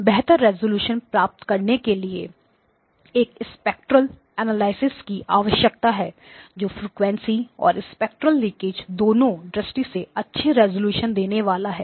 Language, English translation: Hindi, I want you know, I want to have a spectral analysis that is both well resolved in terms of frequency and spectral leakage